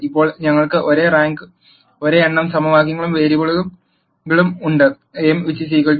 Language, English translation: Malayalam, Now we have the same number of equations and variables m equal to n